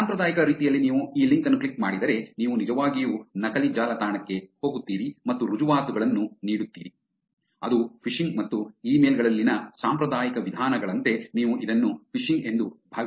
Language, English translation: Kannada, As in the traditional way if you click on this link you will end up actually going to a fake website and giving away the credentials, that is phishing and I mean you can think of it as a phishing as in the traditional ways in emails itself, but spreading on the social media services